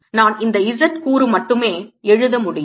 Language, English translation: Tamil, i can write only the z component of this